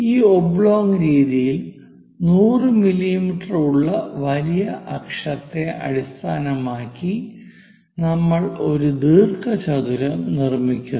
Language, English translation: Malayalam, In this oblong method, we basically construct a rectangle based on the major axis 100 mm